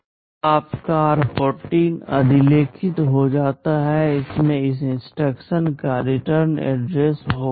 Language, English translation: Hindi, Now your r14 gets overwritten, it will contain the return address of this instruction